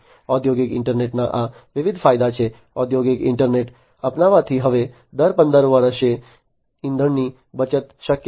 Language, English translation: Gujarati, So, these are the different advantages of the industrial internet, with the adoption of industrial internet, it is now possible to save on fuel in, you know, every 15 years